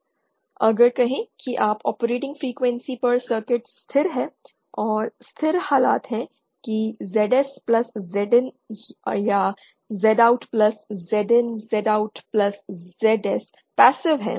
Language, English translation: Hindi, On the other hand say just at the operating frequency if you can make the circuit stable and stable being the condition that ZS plus Z IN or Z OUT plus Z IN Z OUT plus ZL is passive